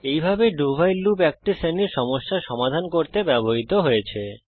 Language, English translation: Bengali, This way, a do while loop is used for solving a range of problems